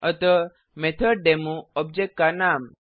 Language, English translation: Hindi, So MethodDemo object name